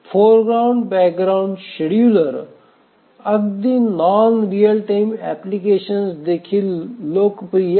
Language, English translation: Marathi, The foreground background scheduler is a popular scheduler even in non real time applications